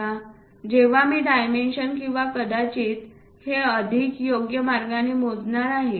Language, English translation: Marathi, Now, when I am going to measure these dimension or perhaps this one in a more appropriate way